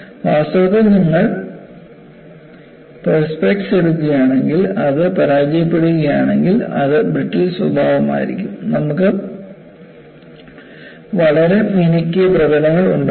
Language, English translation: Malayalam, In fact, if you take prospects, if it fails, it would be brittle in nature, you will have very nice polished surfaces